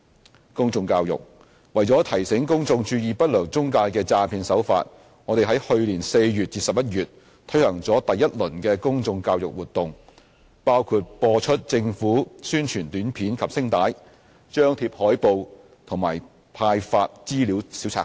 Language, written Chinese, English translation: Cantonese, b 公眾教育為了提醒公眾注意不良中介的詐騙手法，我們在去年4月至11月推行了第一輪公眾教育活動，包括播出政府宣傳短片及聲帶、張貼海報和派發資料小冊子。, b Public education To alert the public of the deceptive tactics of unscrupulous intermediaries we conducted the first round of public education activities from April to November last year including the broadcasting of an Announcement of Public Interest display of posters and distribution of information pamphlets